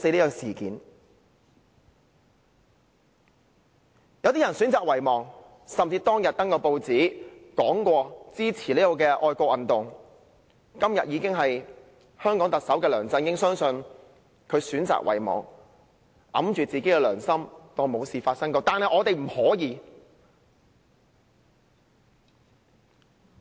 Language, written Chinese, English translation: Cantonese, 有些人選擇遺忘，當日曾刊登報紙聲言支持這項愛國運動、今日已成為香港特首的梁振英選擇遺忘，捂着良心當作沒事發生，但我們不能。, Some people chose to forget just like Chief Executive LEUNG Chun - ying who declared to support this patriotic movement in the newspapers back then but acts against his conscience today as if nothing has happened . But we cannot do that